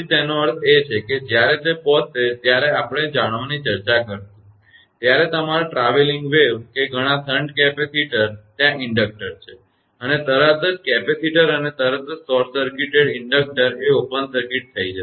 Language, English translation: Gujarati, That means, when it will when it will arrive that while we are discussing about know, your traveling wave that so many shunt capacitors are there inductor immediately your capacitor and instantly it will be short circuited inductor will be open circuited